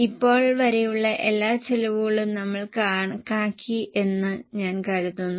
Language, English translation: Malayalam, I think since now we have calculated all the costs